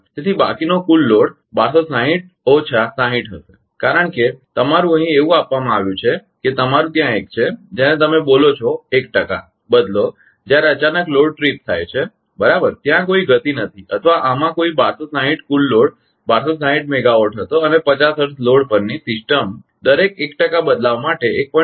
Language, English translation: Gujarati, So, total remaining load will be 1260 minus 60 because your here it is given that your ah there is a your what you call 1 percent 5 when there is load suddenly tripped right, there is no speed or there is no the ah this 1260 total load was 1260 megawatt and system at 50 hertz load varies 1